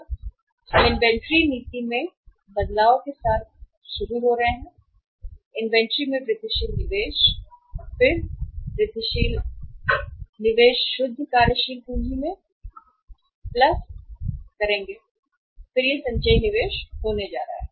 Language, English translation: Hindi, We are starting with the change in the inventory policy, incremental investment in the inventory and then incremental investment in the incremental net working capital total investment this plus this and then it is going to be the cumulative investment